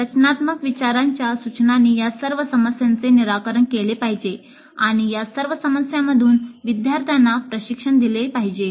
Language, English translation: Marathi, So instruction for design thinking must address all these issues and train the students in all of these issues